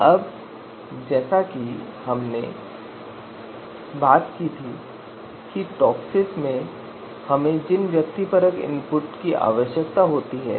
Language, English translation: Hindi, Now as we talked about that you know one of the subjective input that we require in TOPSIS is the weights of the criteria